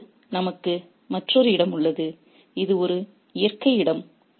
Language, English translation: Tamil, Now we have another space which is a natural space